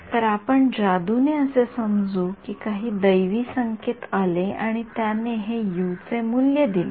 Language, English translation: Marathi, So, let us assume magically some oracle has come and given us this value of U